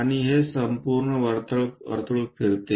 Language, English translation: Marathi, And this entire circle rolls